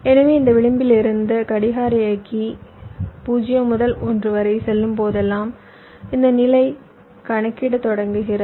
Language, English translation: Tamil, so from this edge, whenever drive clock goes from zero to one, this stage the starts calculating